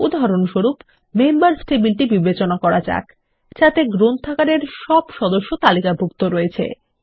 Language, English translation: Bengali, For example, let us consider the Members table that lists all the members in the Library